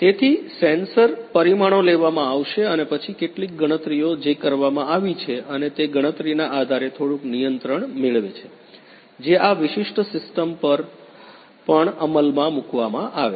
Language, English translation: Gujarati, So, the sensor parameters will be taken and then some computation that is that is done and based on the computation getting some control that is also implemented on this particular system